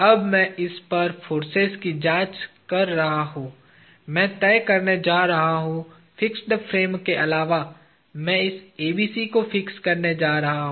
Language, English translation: Hindi, When I am examining the forces on this, I am going to fix, apart from the fixed frame, I am going to fix this ABC